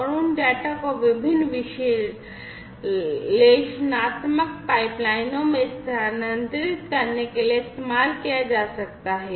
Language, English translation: Hindi, And those could be used to transfer the data to different analytical pipelines